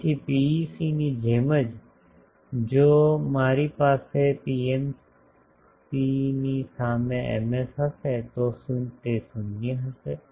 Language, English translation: Gujarati, So, just same as PEC analogy, that if I have an Ms in front of a PMC actually it will be 0